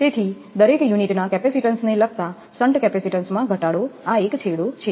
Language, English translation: Gujarati, So, reduction in some capacitance relative to the capacitance of each unit this is one end